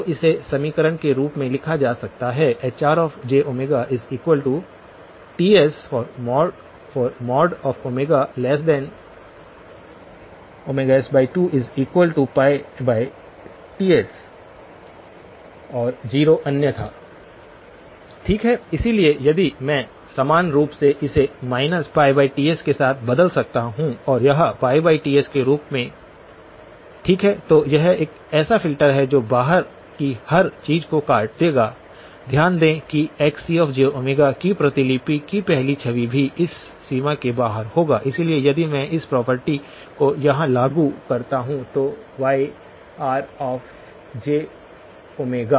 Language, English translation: Hindi, So, this can be written in equation form as Hr of j omega is equal to Ts in the range omega less than omega s by 2 but that is the same as saying this is equal to pi over Ts, okay, so if I can equally well replaced this with minus pi over Ts and this as pi over Ts, okay so this is a filter that will cut off everything that is outside, notice that even the first image of the copy of Xc of; will be outside of this range, so if I implement this the property here, then Yr of j omega